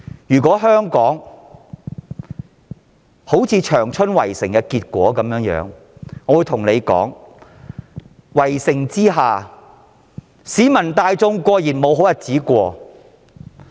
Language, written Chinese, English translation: Cantonese, 如香港像當年長春一樣被圍城，市民大眾固然沒有好日子過。, If Hong Kong is besieged like Changchun back in those years the community at large will certainly suffer